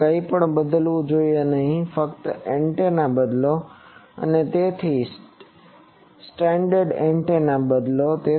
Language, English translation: Gujarati, Now, nothing should be changed only change the test antenna and replace it with a standard antenna